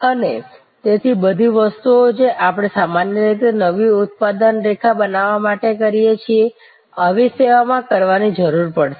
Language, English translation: Gujarati, And therefore, all the things that we normally do in creating a new production line, will need to be done in such a service